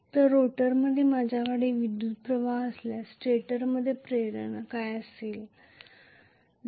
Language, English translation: Marathi, So will there be an induction in the stator if I have a current flowing in the rotor